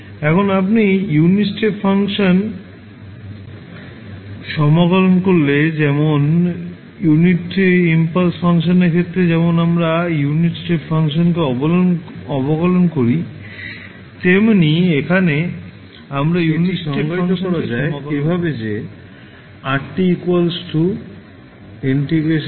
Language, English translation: Bengali, Now, if you integrate the unit step function so in case of unit impulse function we differentiated the unit step function